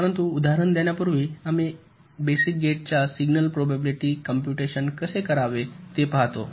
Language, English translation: Marathi, but before working out the example, we look at how to compute the signal probability of the basic gates